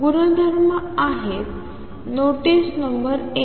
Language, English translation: Marathi, What are the properties, notice number one